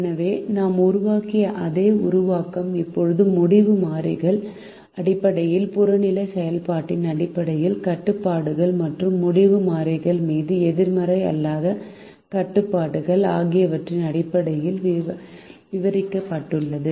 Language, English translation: Tamil, so the same formulation that we made has now been described in terms of decision variable, in terms of the objective function, in terms of constraints and non negative restriction on the decision variables